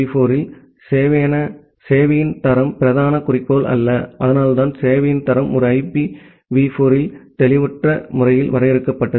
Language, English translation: Tamil, In IPv4, quality of service was not the prime goal and that is why the quality of service was vaguely defined in a IPv4